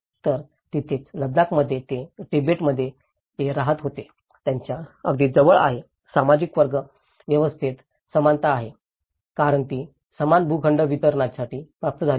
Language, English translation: Marathi, So, that is where, in Ladakh, it is very much close to what they used to live in Tibet, equality in social class system because it has been attained for equal plot distribution